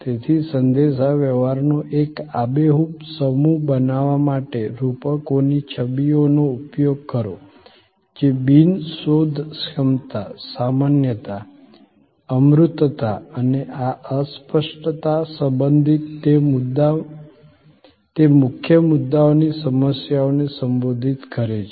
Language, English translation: Gujarati, So, use metaphors images to create a vivid set of communication that address the problem of those key issues regarding non searchability, generality, abstractness and this impalpability